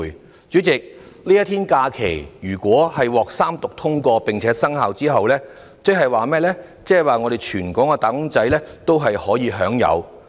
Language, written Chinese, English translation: Cantonese, 代理主席，如果這一天假期獲三讀通過，在日後生效時全港"打工仔"皆可享有。, Deputy President if this proposed holiday passes the three readings it will be enjoyed by all wage earners in Hong Kong after it comes into effect